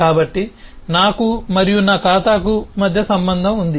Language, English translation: Telugu, so there is a relationship between me and my account